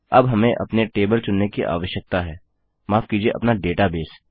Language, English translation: Hindi, Now we need to select our table, sorry our database